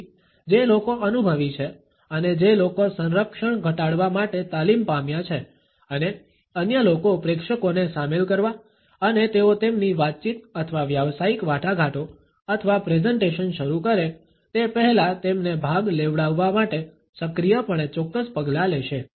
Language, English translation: Gujarati, So, people who are experienced and people who have been trained to lower the defenses and other people will be actively taking certain actions to involve the audience and to get their participation before they actually begin either their dialogue or professional talks or presentations